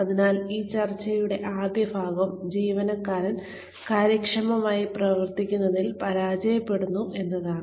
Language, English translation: Malayalam, So, the first part of this discussion is that, the employee fails to perform effectively